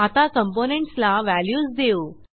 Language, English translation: Marathi, We will now assign values to components